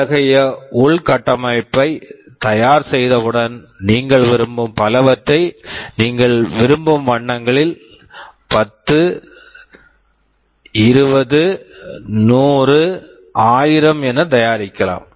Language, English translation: Tamil, Once we have that infrastructure ready, you can manufacture the systems as many you want; you can manufacture 10, 20, 100, 1000 as many you want